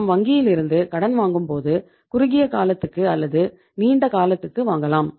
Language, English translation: Tamil, So when you borrow from the bank you can borrow for the short term, short period and for the long period